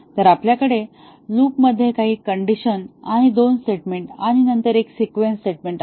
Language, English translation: Marathi, So, we have while some condition and two statements here in the loop and then there is a sequence statement